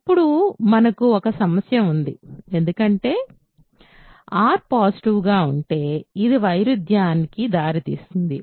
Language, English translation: Telugu, But, now we have a problem because, if r is positive this leads to a contradiction